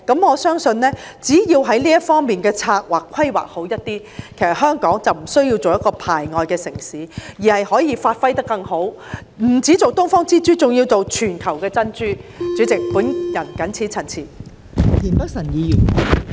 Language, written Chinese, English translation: Cantonese, 我相信只要在這方面規劃做好一點，其實香港便不需要成為一個排外的城市，而是可以發揮得更好，不只當"東方之珠"，還要做全球的珍珠。代理主席，我謹此陳辭。, I believe that as long as good planning is done in this respect Hong Kong does not need to be an exclusionary city . Instead it can go one better to be not just the Pearl of the Orient but also the Pearl of the World Deputy President I so submit